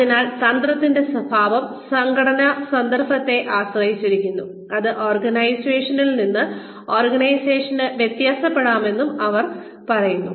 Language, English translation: Malayalam, So, they say that, the nature of strategy, depends on the organizational context, and can vary from organization to organization